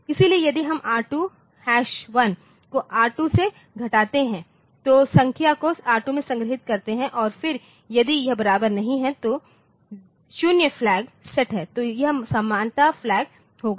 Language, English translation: Hindi, So, if there if this R we subtract R2 one from R2 and store the number in R2 and then if it is not equal that is a 0 flag is set then this equality flag will be there